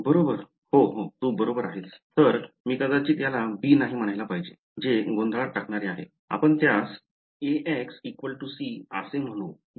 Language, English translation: Marathi, Right yeah you are right; so, I should probably not call this b that is confusing let us call it A x is equal to c right